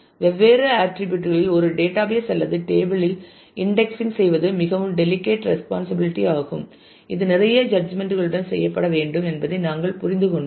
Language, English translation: Tamil, And we have then made understood that indexing a database or tables on different attributes is a very delicate responsibility which has to be done with a lot of judgment